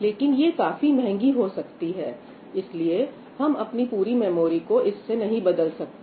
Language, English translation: Hindi, It turns out to be much costlier, so you cannot have your entire memory being replaced by this